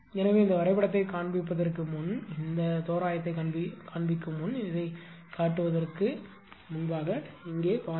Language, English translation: Tamil, So, just just hold on before before showing this diagram, before showing this before showing this approximation, just have a look here right